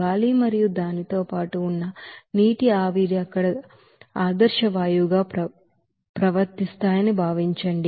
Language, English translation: Telugu, Now, assume that air and the accompanying water vapor behave as ideal gas there